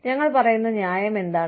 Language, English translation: Malayalam, What is the reasoning, we give